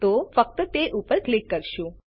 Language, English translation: Gujarati, So, we will simply click on it